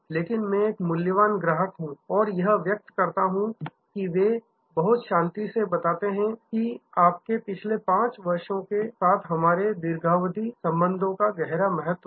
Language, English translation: Hindi, But, I am a valuable customer and the express that they very calmly explain to be weak deeply value our long relationship with your last 5 years